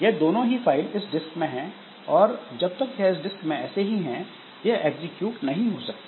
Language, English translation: Hindi, And when these files are existing in the disk, so they are not going to be executed